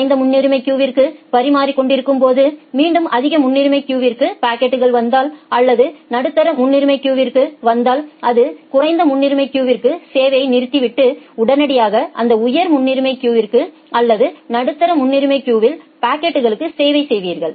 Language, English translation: Tamil, But while serving the low priority queue again if a packet comes to the high priority queue or the medium priority queue, it will preempt the service at the low priority queue immediately you will return back and the serve the packets from that high priority queue or the medium priority queue